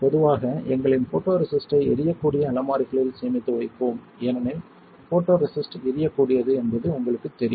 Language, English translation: Tamil, Typically we will store our photoresist in flammable cabinets because photoresist as you know is flammable